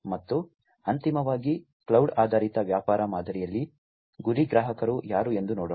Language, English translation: Kannada, And finally, let us look at who are going to be the target customers in the cloud based business model